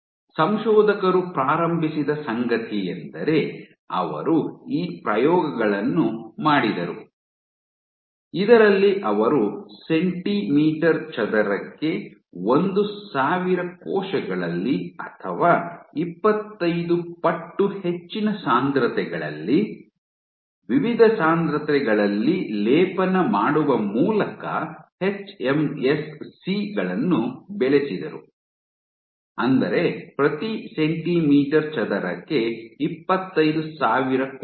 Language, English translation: Kannada, What the author started off was they did this experiments in which you cultured cells hMSCS where plated at different densities either at 1000 cells per centimeter square or 25 times higher, 25000 cells per centimeter square